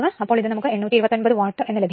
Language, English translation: Malayalam, So, it will become 88 watt that is 0